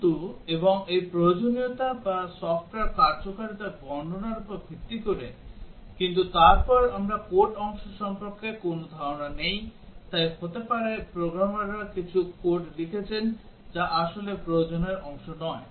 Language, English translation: Bengali, But and this is based on the requirements or the description of the functionality of the software, but then we do not have no idea about the code part, so may be the programmers has written some code which is not really part of the requirement